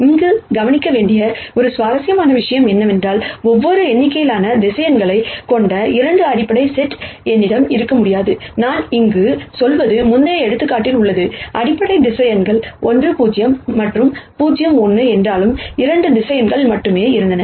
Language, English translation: Tamil, An interesting thing to note here though is that, I cannot have 2 basis sets which have di erent number of vectors, what I mean here is in the previous example though the basis vectors were 1 0 and 0 1, there were only 2 vectors